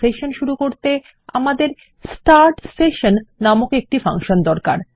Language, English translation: Bengali, To start any session, we will need a function which is start session